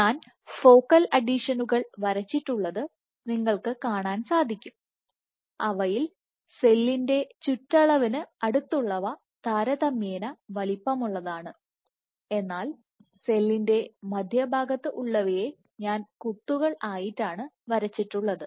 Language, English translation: Malayalam, So, what you see is here I have drawn the focal adhesions as some of them are in the periphery of the cell which are relatively bigger in size, and towards the center of the cell I have just drawn them as dots ok